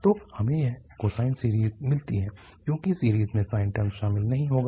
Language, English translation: Hindi, So we will get this cosine series because the series will not contain the sine term